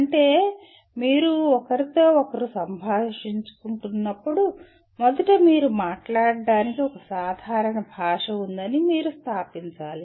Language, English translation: Telugu, That means whenever you are communicating with each other first thing that you have to establish that you have a common language to speak